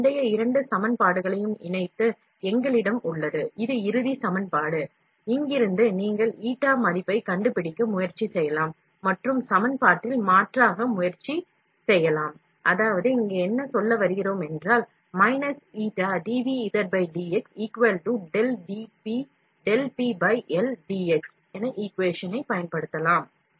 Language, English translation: Tamil, Combining these previous two equations, we have, this is the final equation, from here you can try to find out the eta value and try to substituted in the equation